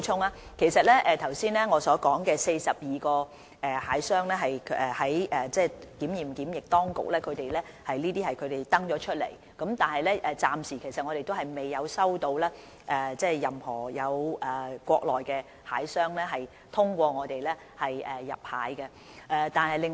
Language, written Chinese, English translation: Cantonese, 我剛才提及的42個大閘蟹出口商是載列於內地檢驗檢疫部門所公布的名單，但暫時仍未有任何國內大閘蟹出口商通過我們向香港出口大閘蟹。, The 42 hairy crab exporters mentioned by me earlier were set out in the list released by the Mainland inspection and quarantine authorities but so far none of them has exported any hairy crab to Hong Kong via the Bureau